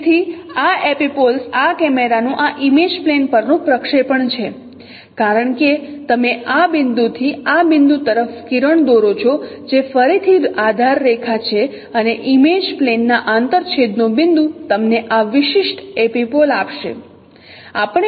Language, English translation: Gujarati, So this epipole is the projection of this camera on this image plane because you draw the ray from this point to this point which is again the baseline and its point of intersection of the image plane will give you this particular epipole